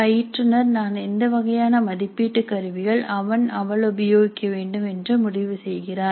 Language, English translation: Tamil, Instructor has to decide which are the assessment instruments that he as he should use